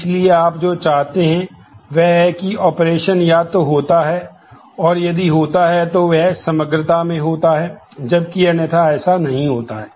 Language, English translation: Hindi, So, what you want is either that operation happens or the and if it happens then it happens in full in totality, whereas otherwise it may not happen at all